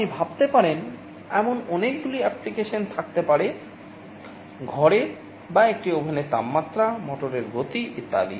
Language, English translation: Bengali, There can be many applications you can think of; temperature of the room or an oven, speed of a motor, etc